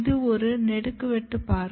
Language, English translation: Tamil, This is a longitudinal view